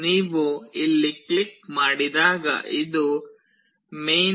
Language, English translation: Kannada, When you click here you see this is the main